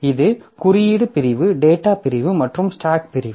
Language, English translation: Tamil, So, this is the code segment, data segment and stack segment